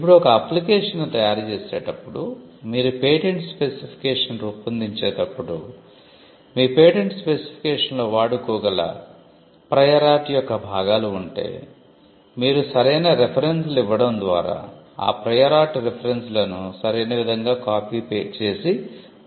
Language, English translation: Telugu, Now, in preparing an application, if there are portions of the prior art which could be reproduced into your patent application while drafting your patent specification, you could kind of copy and paste those prior art references with proper by giving the proper reference, and that could save quite a lot of time and effort in drafting